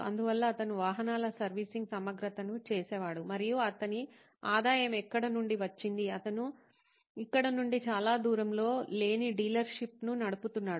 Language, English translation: Telugu, So he used to do his servicing overhaul of vehicles and that’s where his revenue came from, he was running a dealership not too far from here